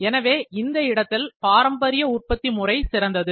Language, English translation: Tamil, Now, this is generally in traditional manufacturing